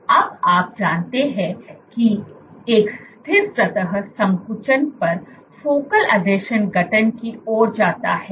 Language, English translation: Hindi, Now you know that on a stiffer surface contractility leads to focal adhesion formation